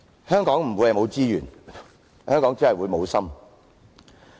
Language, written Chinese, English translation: Cantonese, 香港不會缺乏資源，香港只是會無心。, Hong Kong faces no lack of resources; it only faces heartlessness